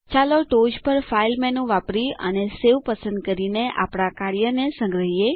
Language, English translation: Gujarati, Let us save our work by using the File menu at the top and choosing Save